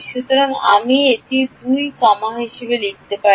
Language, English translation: Bengali, So, this I can write as 2 comma 1